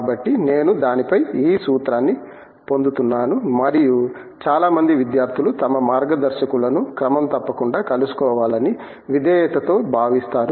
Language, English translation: Telugu, So, I get lots formula on that and of course, many students obediently feel they should meet their guides regularly